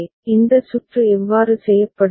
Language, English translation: Tamil, So, how then this circuit will be made